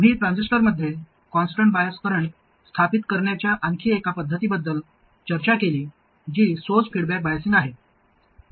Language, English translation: Marathi, We discussed another method of establishing a constant bias current in a transistor, that is source feedback biasing